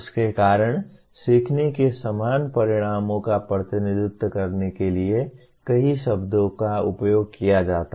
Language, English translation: Hindi, Because of that several words are used to represent the same outcomes of learning